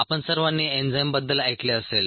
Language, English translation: Marathi, all of you would have heard of enzymes